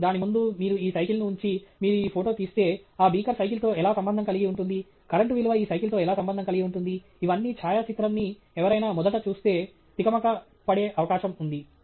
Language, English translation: Telugu, And in front of it, if you keep this bicycle, and you take this photograph, how does that beaker relate to the bicycle; how does that current value relate to this bicycle these are all questions that someone who first glances at the photograph may get distracted by right